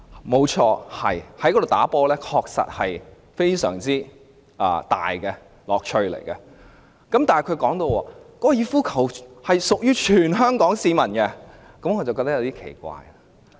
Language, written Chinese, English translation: Cantonese, 沒錯，在該處打球確實有很大的樂趣，但她提到香港哥爾夫球會屬於全香港市民時，我便感到有些奇怪。, Yes it is really fun to play golf there but it struck me as somewhat weird when she suggested that HKGC belongs to all Hong Kong people